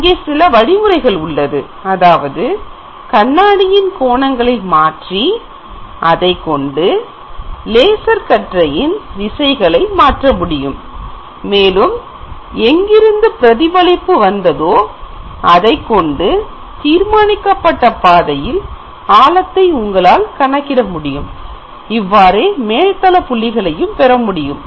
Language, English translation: Tamil, So there are mechanisms by which the mirror angles could be varying and accordingly the direction of laser beam could be varied and in a given predetermined path you can find out that what is the depth from where the reflection came and that is how you can get the surface points